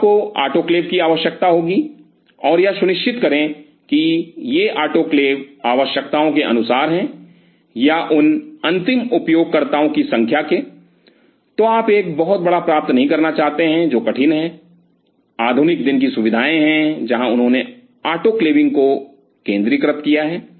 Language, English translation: Hindi, So, you will be needing autoclaves and ensure that these autoclaves are according to the requirements or number of end users you do not want to get a very huge ones, which is kind of tough there are modern days facilities where they have centralized autoclaving